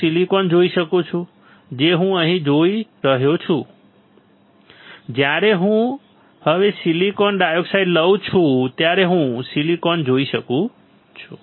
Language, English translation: Gujarati, I can see silicon right that is what I am looking here; I can see silicon when I etch the silicon dioxide now